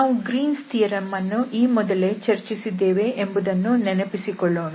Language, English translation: Kannada, So just to recall that we have already discussed Greens theorem